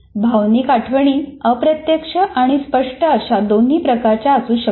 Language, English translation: Marathi, Emotional memories can both be implicit or explicit